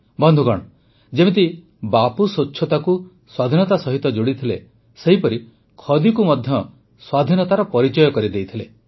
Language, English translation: Odia, Bapu had connected cleanliness with independence; the same way he had made khadi the identity of freedom